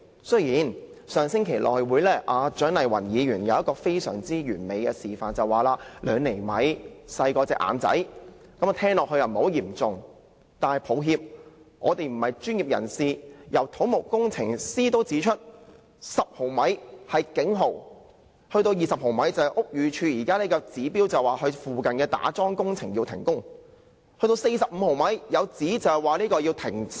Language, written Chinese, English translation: Cantonese, 雖然蔣麗芸議員在上星期的內務委員會作了一個非常完美的示範，她說2厘米較眼睛更小，聽起來並不嚴重，但我們不是專業人士，而且土木工程師也指出，沉降10毫米是警號 ，20 毫米已達到屋宇署現時的指標，須要求附近的打樁工程停工，更有指達45毫米的話，西鐵便要停駛。, Although Dr CHIANG Lai - wan says in the House Committee meeting last week where she performed her perfect demonstration that 2 cm is even smaller than her eyes trying to tone down the severity of the matter we are not professionals after all . Besides according to some civil engineers a settlement of 10 mm is a warning sign and 20 mm is the limit laid down by the Buildings Department and nearby piling works must be stopped . Some even say that when the settlement reaches 45 mm the operation of the West Rail has to stop